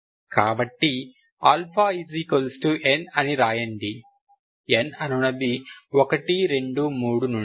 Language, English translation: Telugu, So, or you can write alpha equal to n, n is from 1, 2, 3 onwards